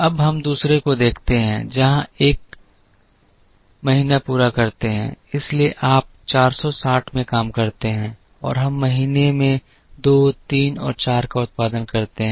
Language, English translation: Hindi, Now, we look at the second one where we do up to month one optimally so you incur 460, and we produce this 2, 3 and 4 in month 2